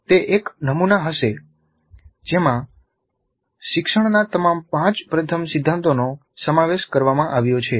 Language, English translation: Gujarati, It will be a model which incorporates all the five first principles of learning